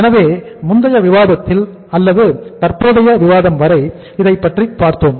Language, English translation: Tamil, So we saw that in the previous discussion or the discussion till now we had